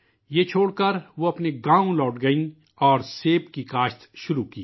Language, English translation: Urdu, She returned to her village quitting this and started farming apple